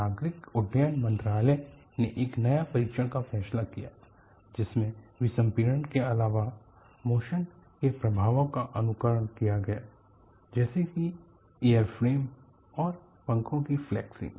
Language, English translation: Hindi, The Ministry of Civil Aviation decided upon a new test which in addition to decompression simulated the effects of motion such as flexing of the airframe and wings